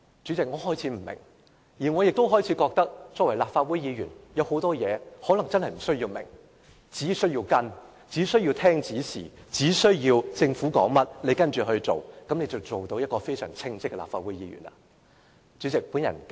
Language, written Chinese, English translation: Cantonese, 我亦開始認為，作為立法會議員，有很多事情可能確實無須明白，只需要跟隨，只需要聽從指示，政府說甚麼便跟着做甚麼，這樣便能成為非常稱職的立法會議員了。, I have also started to think that as a Legislative Council Member I actually do not need to understand many things well . I only need to follow and listen to instructions and do whatever the Government says . This will make me a very competent Legislative Council Member